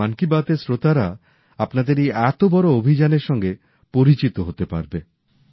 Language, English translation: Bengali, So that the listeners of 'Mann Ki Baat' can get acquainted with what a huge campaign you all are running